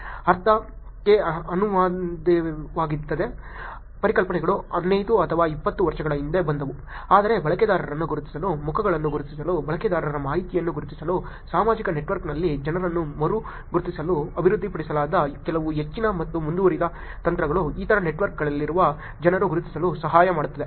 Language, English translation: Kannada, Meaning, the concepts like k anonymity came in 15 or 20 years before, but certain many further and advance techniques that have been developed to identify users, to identify faces, to identify information about users, to re identify people on social network, people on other networks